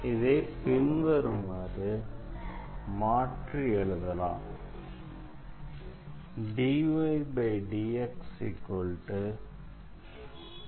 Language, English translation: Tamil, So, here we can rewrite this